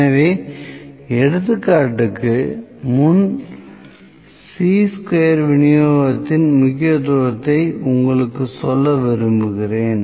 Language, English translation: Tamil, So, before taking the example I like to tell you the significance of Chi square distribution